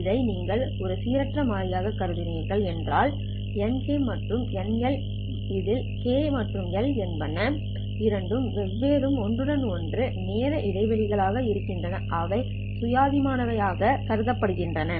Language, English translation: Tamil, In other words, n k if you consider this as a random variable, then NK and NL where K and L are two different non overlapping time intervals, they are considered to be independent